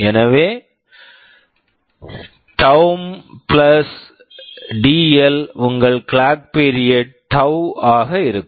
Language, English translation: Tamil, So, taum + dL will be your clock period tau